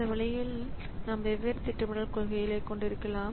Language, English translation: Tamil, So, in this way you will so we can have different scheduling policies